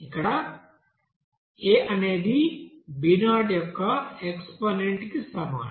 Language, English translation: Telugu, Here a will be is equal to here exponent of b 0